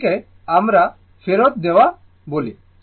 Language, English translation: Bengali, It is what you call sending back